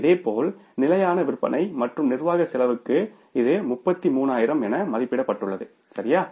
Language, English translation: Tamil, Similarly for fixed selling and administrative cost it is estimated here is 33,000 right